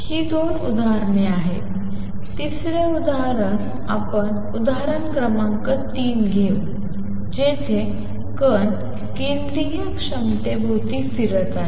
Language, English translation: Marathi, It is the two examples; third example let us take example number 3 where a particle is going around the central potential